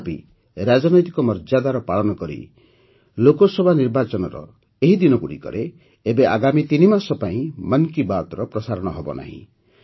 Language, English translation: Odia, But still, adhering to political decorum, 'Mann Ki Baat' will not be broadcast for the next three months in these days of Lok Sabha elections